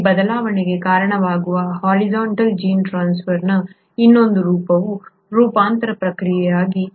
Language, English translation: Kannada, The other form of horizontal gene transfer, which accounts for this variation, is the process of transformation